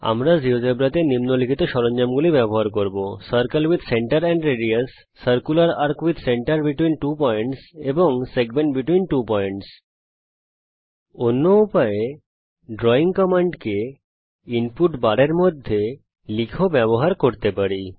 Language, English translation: Bengali, We will use the following tools in Geogebra Circle with center and radius, circular arc with centre between two points and segment between two points The drawing commands can be used in another way by typing commands in the input bar as well